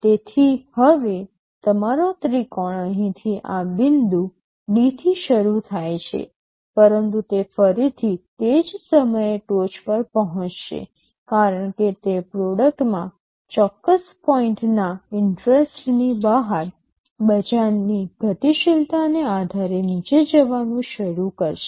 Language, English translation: Gujarati, So, now, your triangle starts from here at this point D, but it will again reach the peak at the same point because depending on market dynamics beyond a certain point interest in that product will start to go down